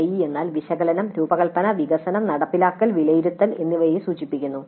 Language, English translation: Malayalam, ADE stands for analysis, design, development, implement and evaluate